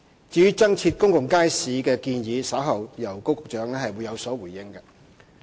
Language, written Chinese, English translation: Cantonese, 至於增設公眾街市的建議，稍後會由高局長有所回應。, As regards the proposal for providing additional public markets Secretary Dr KO will give a response later on